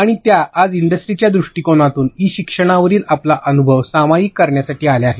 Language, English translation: Marathi, And here she is today to share her experience on e learning from industry perspective